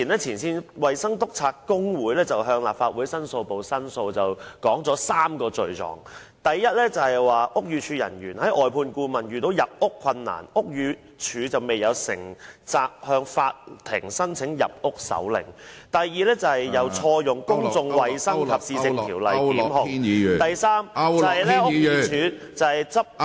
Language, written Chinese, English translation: Cantonese, 前線衞生督察工會早前向立法會申訴部作出申訴，並提出3個罪狀，第一，屋宇署外判顧問遇到入屋困難，但屋宇署未有承擔責任，向法庭申請入屋手令；第二，當局錯誤引用《公眾衞生及市政條例》提出檢控；第三，屋宇署執法......, Some time ago the Frontline Health Inspector Union lodged a complaint with the Complaints Division of the Legislative Council and put forward three inadequacies . First despite the difficulties faced by BDs outsourced consultants in entering the flats in question BD has not assumed the responsibility to apply to the court for entry warrant; second the authorities wrongly cited the Public Health and Municipal Services Ordinance in instituting prosecutions; third BD enforced the law